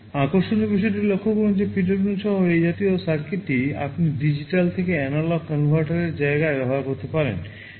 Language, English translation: Bengali, The interesting point to notice that this kind of a circuit with PWM you can use in place of a digital to analog converter